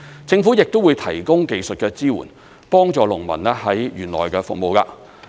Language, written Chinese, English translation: Cantonese, 政府亦會提供技術的支援，幫助農民在園內務農。, The Government will provide technical support to farmers on how to conduct farming activities in the Park